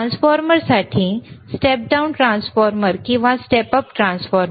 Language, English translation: Marathi, , are there rightFor transformers, step down transformer, or step up transformer